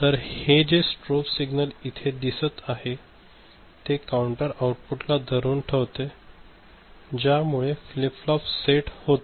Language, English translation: Marathi, So, this strobe signal that you see over here, it latches the latches these counters output to a set of flip flops ok